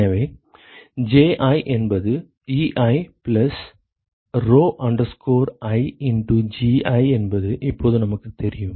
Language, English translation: Tamil, So, now we know that Ji is Ei plus rho i into Gi